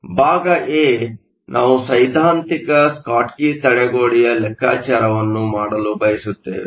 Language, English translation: Kannada, So part a, we want to calculate the theoretical Schottky barrier